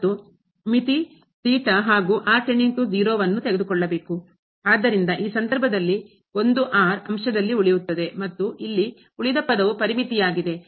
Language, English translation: Kannada, So, in this case the 1 will survive in the numerator and the rest term here is bounded